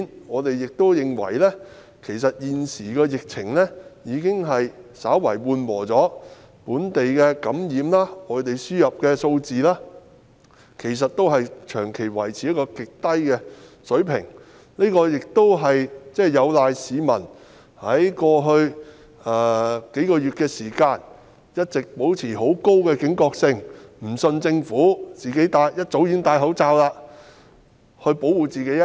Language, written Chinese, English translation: Cantonese, 我們亦認為現時疫情已稍為緩和，本地感染個案及外地輸入個案的數字均長期維持於極低水平，這是有賴於市民在過去數月間一直保持高警覺性，不相信政府，一早戴上口罩保護自己。, Also in our opinion the epidemic situation has slightly abated at present with both local infection cases and imported cases maintaining at a very low level for a long time . This is attributed to the fact that members of the public have remained highly vigilant over the past few months and refused to trust the Government by wearing masks for their own protection at an early stage